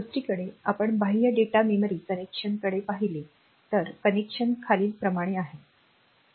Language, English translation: Marathi, On the other hand if we look into the data memory connection external data memory connection then we have got the connection like this